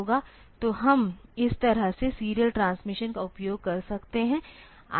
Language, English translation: Hindi, So, we can use the serial transmission in this fashion